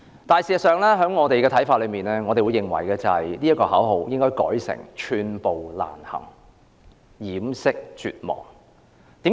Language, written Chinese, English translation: Cantonese, 但是，依我們看來，口號應該改為"寸步難行掩飾絕望"。, However in my opinion the slogan should be changed to Striving Impossible Hiding Despair